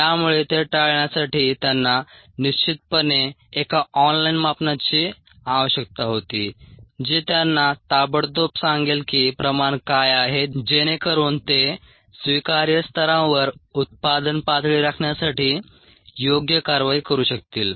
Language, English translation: Marathi, so to avoid that, they definitely needed an online measurement which would immediately tell them what their concentration was so that they could take a appropriate action to maintain the product levels at ah acceptable levels